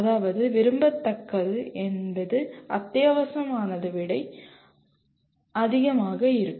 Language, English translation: Tamil, That means what is desirable can be much more than what is essential